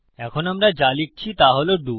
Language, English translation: Bengali, Now what we type is DO